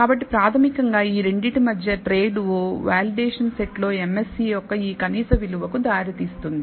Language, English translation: Telugu, So, it is basically that trade o between these two that gives rise to this minimum value of the MSE on the validation set